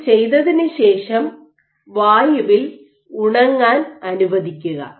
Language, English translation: Malayalam, So, after doing this you let it air dry ok